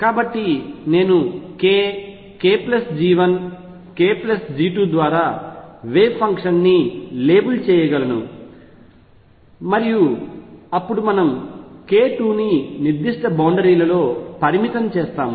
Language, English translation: Telugu, So, I could label the wave function by either k k plus G 1 k plus G 2 and then we follow a convention that we restrict k 2 within certain boundaries